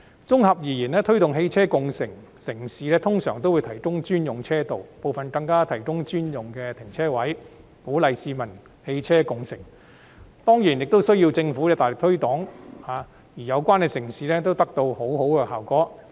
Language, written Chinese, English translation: Cantonese, 綜合而言，推動汽車共乘的城市通常會提供專用車道，部分更提供專用停車位，以鼓勵市民共乘汽車，當然亦需要政府的大力推廣宣傳，而有關城市均取得良好效果。, To sum up cities promoting ride - sharing will usually provide designated lanes and some even set up designated parking spaces so as to encourage people to share rides . Of course the governments concerned also need to make strong promotion and publicity efforts . These cities have all achieved good result